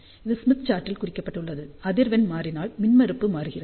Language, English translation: Tamil, So, this is the plot on the Smith chart as frequency changes impedance changes